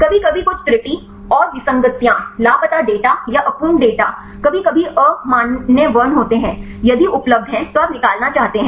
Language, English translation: Hindi, Sometimes some error and inconsistencies, the missing data or the incomplete data, are sometimes invalid characters if available then you want to remove